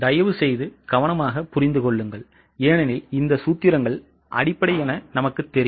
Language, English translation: Tamil, Please understand it carefully because these formulas are the base